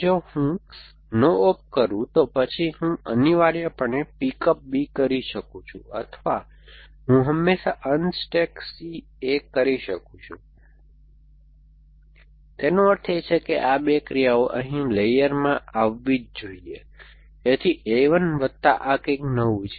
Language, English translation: Gujarati, If I do a no op then I can always do a pick up b after that essentially or I can always do a unstack c a, after that which means these 2 actions must come in my layer, so everything which is there in a 1 plus something new